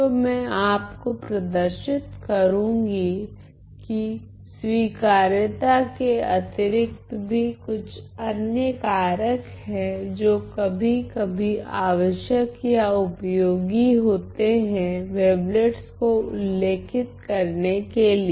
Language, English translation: Hindi, So, I saw that I am going to show you that besides admissibility, there are some other factors which are necessary or useful sometimes to describe wavelets